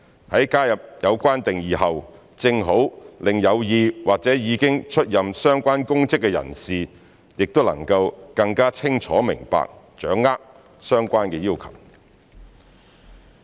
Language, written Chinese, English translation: Cantonese, 在加入有關定義後，正好讓有意或已經出任相關公職的人士也能更加清楚明白、掌握相關要求。, Having added the relevant definitions people who are interested in or have already taken up the relevant public offices can then have a better understanding and grasp of the relevant requirements